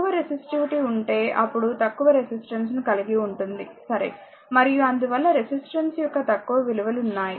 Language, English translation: Telugu, If you have low resistivity, then you have your; what you call they have the low your resistance, right and hence have small values of resistance